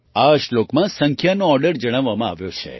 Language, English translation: Gujarati, The order of numbers is given in this verse